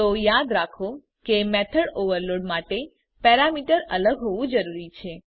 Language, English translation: Gujarati, So remember that to overload method the parameters must differ